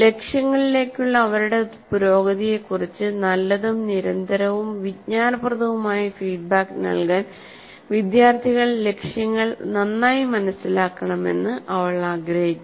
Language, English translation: Malayalam, She wants students to understand the goals well enough to be able to give themselves good continuous informative feedback on their progress towards the goals